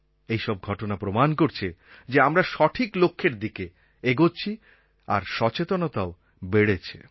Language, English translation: Bengali, All these things are a sign that we are moving in the right direction and awareness has also increased